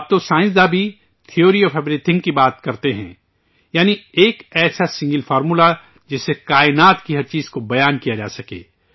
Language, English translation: Urdu, Now scientists also discuss Theory of Everything, that is, a single formula that can express everything in the universe